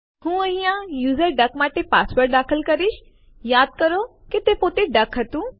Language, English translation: Gujarati, I shall type the user duck password here please recall that it was duck itself